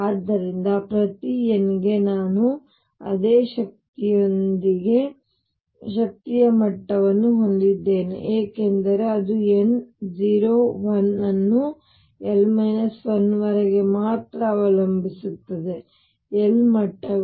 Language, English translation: Kannada, So, for each n I have energy levels with the same energy because it depends only on n 0 1 up to l minus 1; l levels